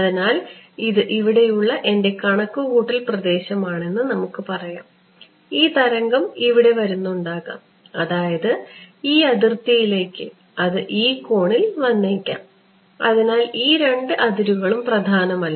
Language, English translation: Malayalam, So, let us say that this is my computational domain over here and this wave is coming over here may be it's coming at this angle whatever variety of different angels and I am talking about let us say this boundary